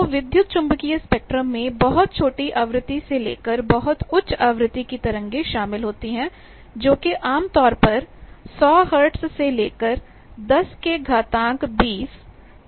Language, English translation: Hindi, So, the electromagnetic spectrum covers from very small frequency to very high frequency, typically 100 hertz to you can go up to 10 to the power 20 hertz